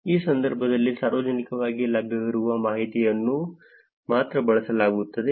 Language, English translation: Kannada, In this case, only publicly available information is used